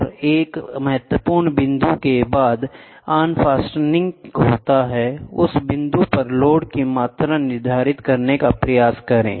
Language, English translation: Hindi, And after a critical point, the unfastening happens try to quantify the load at that point